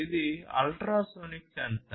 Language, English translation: Telugu, This is an ultrasonic sensor